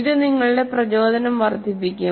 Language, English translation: Malayalam, It will enhance your motivation